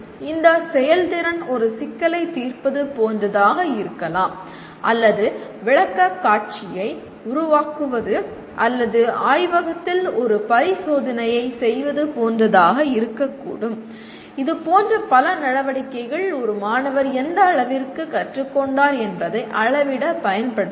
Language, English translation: Tamil, This performance could be like solving a problem or making a presentation or performing an experiment in the laboratory, it can be, there are many such activities which can be used to measure to what extent a student has learnt